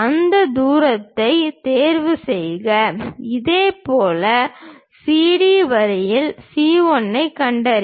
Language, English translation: Tamil, Pick that distance, similarly on CD line locate C 1